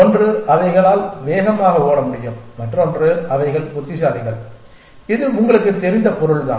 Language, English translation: Tamil, One is that they can run fast and other is that they are smart so whatever that means you know